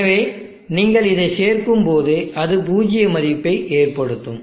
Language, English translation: Tamil, So when you add it will result in a 0 value